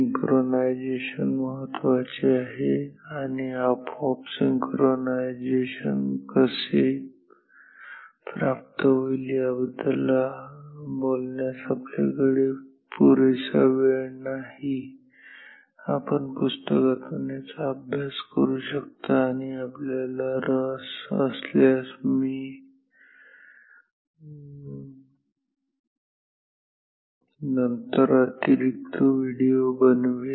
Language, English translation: Marathi, So, synchronization is important and we will not have time to talk about how exactly the synchronization can be achieved automatically, you can study this from the books and if you are interested he will make possibly additional videos later on